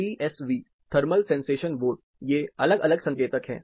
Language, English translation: Hindi, TSV Thermal Sensation Vote, these are different indicators